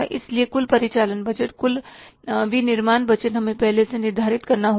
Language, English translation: Hindi, So, total operating budget we have to, total manufacturing budget we have to set in advance